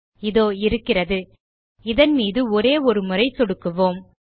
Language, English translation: Tamil, There it is, let us click just once on this icon